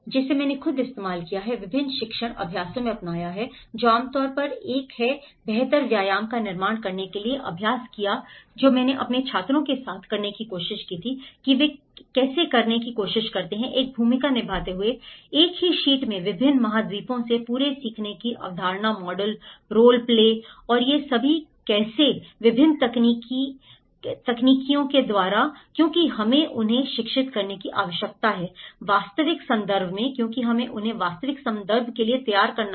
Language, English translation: Hindi, Which I myself have used, adopted in different teaching exercises that is one of the commonly practised to build back better exercise which I tried to do with my students is how they tried to conceptualize the whole learning from different continents in one single sheet playing a role models, role plays and these all different techniques of how, because we need to educate them into the real context, because we have to prepare them for the real context